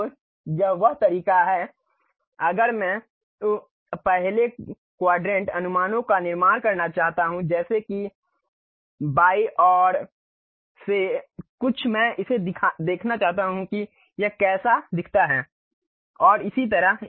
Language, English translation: Hindi, So, this is the way if I would like to really construct uh first quadrant projections like something from left side view I would like to really look at it how it looks like and so on